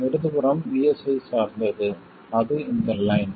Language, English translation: Tamil, The straight line is what is dependent on VS, right